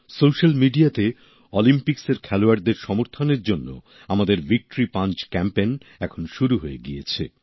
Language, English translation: Bengali, On social media, our Victory Punch Campaign for the support of Olympics sportspersons has begun